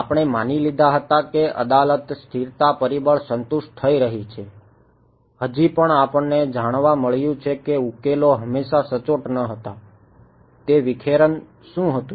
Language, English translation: Gujarati, We assumed Courant stability factor is being satisfied, still we found that solutions were not always accurate, what was that dispersion right